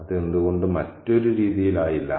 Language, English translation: Malayalam, Why not in some other ways